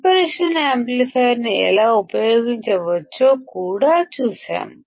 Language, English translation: Telugu, We have also seen how can we use the operational amplifier